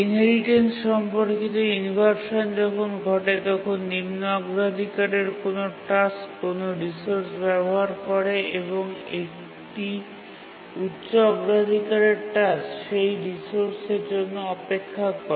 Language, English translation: Bengali, The inheritance related inversion occurs when a low priority task is using a resource and a high priority task waits for that resource